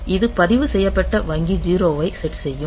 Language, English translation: Tamil, So, it will give in the register bank 0